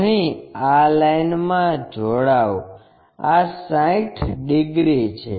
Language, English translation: Gujarati, Here join this line, this is 60 yeah 60 degrees